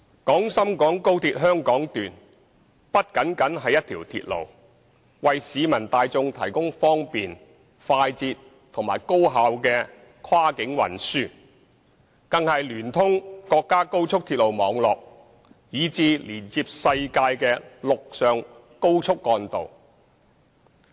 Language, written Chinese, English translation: Cantonese, 廣深港高鐵香港段不僅是一條鐵路，能為市民大眾提供方便、快捷及高效的跨境運輸，更是聯通國家高速鐵路網絡以至連接世界的陸上高速幹道。, XRL is not only a railway that provides the general public with convenient fast and highly efficient cross - boundary transport it is also connected to the high - speed rail network of the country and the worlds high - speed trunk roads